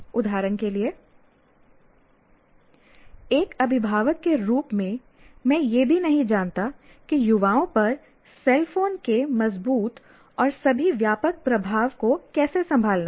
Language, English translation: Hindi, For example, as a parent, I may not even know how to handle the, what do you call the strong and all pervading influence of a cell phone on a youngster